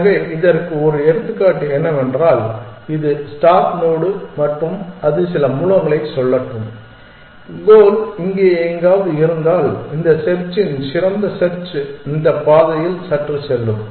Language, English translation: Tamil, So, an example of that is if this is the start node and it has let us say some source and the goal is somewhere here then it slightly that this best of search will go along this path